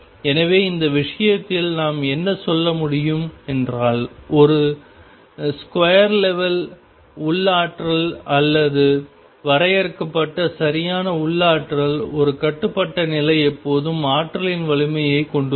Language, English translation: Tamil, So, in this case what we can say is that in a square well potential or finite will potential, one bound state is always there has the strength of the potential